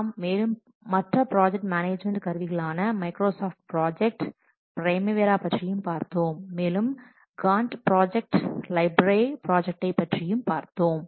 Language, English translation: Tamil, We have also presented some other project management tools such as Microsoft project and Prembara and this Gant project, Lyft project, etc